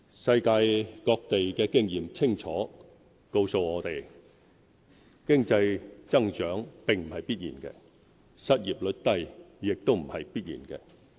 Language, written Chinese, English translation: Cantonese, 世界各地的經驗清楚告訴我們：經濟增長並不是必然的，失業率低也不是必然的。, Experience around the world clearly shows that economic growth and a low unemployment rate cannot be taken for granted